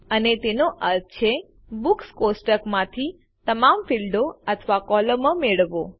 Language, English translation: Gujarati, Here it means, get all the fields or columns from the Books table